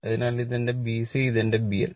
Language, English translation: Malayalam, So, this is my B C and this is my B L right